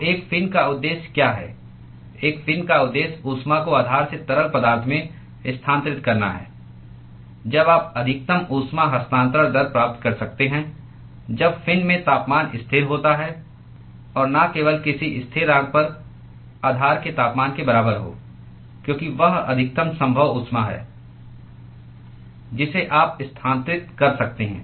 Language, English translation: Hindi, So, what is the purpose of a fin the purpose of a fin is to transfer heat from the base to the fluid around when can you achieve maximum heat transfer rate, when the temperature in the fin is constant and not just at any constant it should be equal to the temperature of the base itself because that is the maximum possible heat that you can transfer